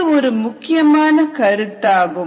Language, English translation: Tamil, ok, this is an important concept now